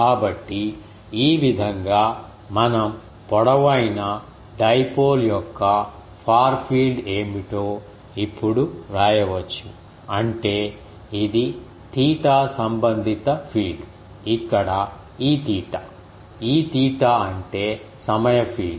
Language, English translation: Telugu, So, thus we can write now what is the far field of a long dipole it is E theta; that means, it is a theta related field where what is E theta, E theta is time field